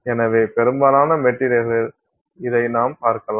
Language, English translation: Tamil, So, this is what you see in most materials